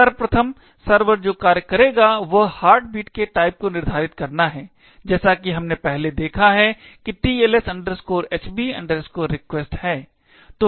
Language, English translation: Hindi, First thing that server would do is determine the heartbeat type which as we have seen before is the TLS HB REQUEST